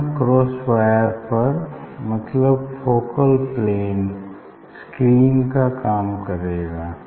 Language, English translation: Hindi, that cross wire, that focal plane will act as a screen